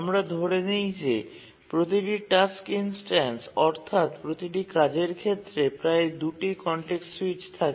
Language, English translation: Bengali, So we assume that each task instance, that is each job, incurs at most two context switches